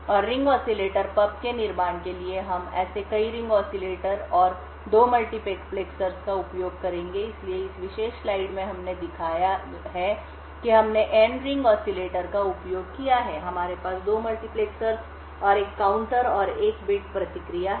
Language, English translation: Hindi, And in order to build a ring oscillator pub, we would use many such Ring Oscillators and 2 multiplexers, So, in this particular slide we have shown that we have used N Ring Oscillators, we have 2 multiplexers and a counter and 1 bit response